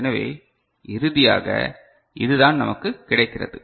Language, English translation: Tamil, So, finally, this is what we get is it clear